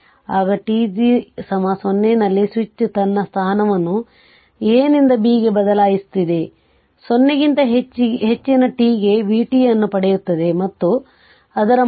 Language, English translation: Kannada, Now, at t is equal to 0, the switch is your changing its position from A to B right, obtain v t for t greater than 0, and obtain its value at t is equal to 0